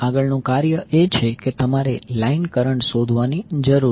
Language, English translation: Gujarati, Next task is you need to find out the line current